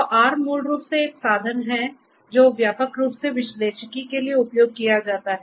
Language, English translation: Hindi, So, R is basically a tool that is widely used for analytics